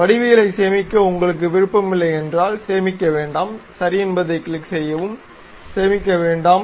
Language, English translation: Tamil, If you are not interested in saving geometries, do not save, click ok, do not save